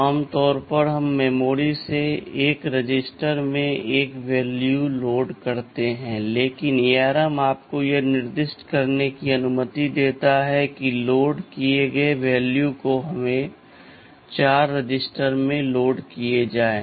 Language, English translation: Hindi, NLike normally we will load a value from memory into 1 a register, but ARM allows you to specify in such a way that the value loaded will be loaded into let us say 4 registers